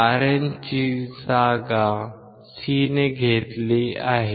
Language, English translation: Marathi, Rin is replaced by C